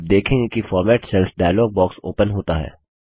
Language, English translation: Hindi, You see that the Format Cells dialog box opens